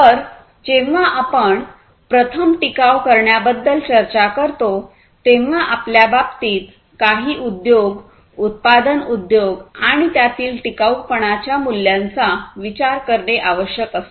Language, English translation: Marathi, So, when we talk about sustainability first what is required is to consider some industry in our case, the manufacturing industry and assess the sustainability issues